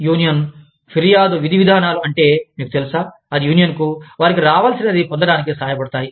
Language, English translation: Telugu, Union grievance procedures, are procedures, that are, you know, that help the union, get its due